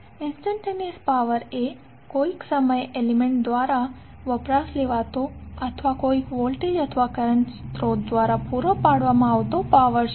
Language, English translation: Gujarati, Instantaneous power is the power at any instant of time consumed by an element or being supplied by any voltage or current source